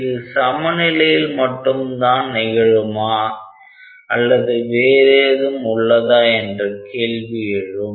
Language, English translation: Tamil, Now, the question is, is it like is it the only condition for equilibrium or is it something different